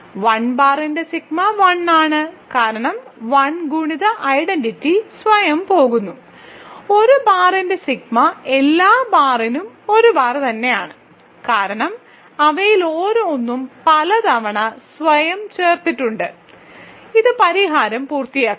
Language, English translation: Malayalam, So, sigma of 1 bar is 1, because 1 multiplicative identity goes to itself, so sigma of a bar is a bar for all a bar, because each of them is one added to itself that many times; so, this finishes the solution, right